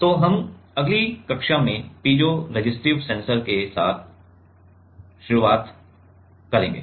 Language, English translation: Hindi, So, we will start with the piezoresistive sensor in the next class